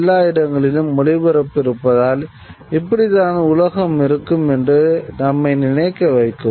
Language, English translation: Tamil, And because broadcasting is everywhere, it might lead us to think that this is the way the world is